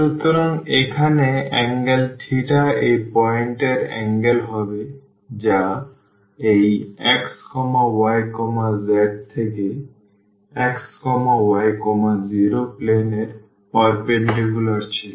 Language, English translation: Bengali, So, here the angle theta will be the angle to this point which was the perpendicular from this x y z point to the xy plane